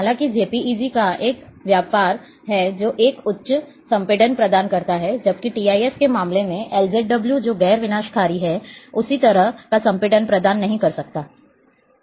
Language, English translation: Hindi, However, there is a trade of JPEG will provide a quite high impression compression, whereas LZW in case of TIF which is non destructive, may not provide that kind of compression